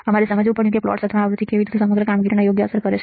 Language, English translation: Gujarati, We had to understand how the plots or how the frequency will affect the overall performance right